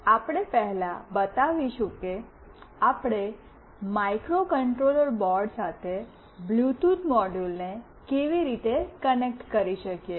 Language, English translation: Gujarati, We will first show how we can connect a Bluetooth module with the microcontroller board